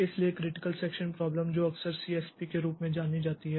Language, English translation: Hindi, So, critical section problem, which is often in short known as CSP